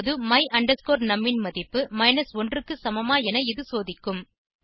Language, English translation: Tamil, It will now check if the value of my num is equal to 1